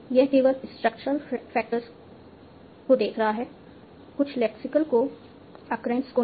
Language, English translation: Hindi, This is only looking at the structural factors, not some lexical co occurrence